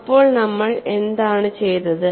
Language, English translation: Malayalam, So, what people have done